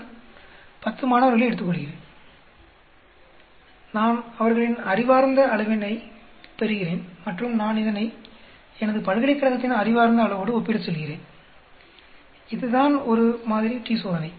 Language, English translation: Tamil, I take 10 students, I get their IQ and I say the compare it with the IQ of my university that is called a one sample t Test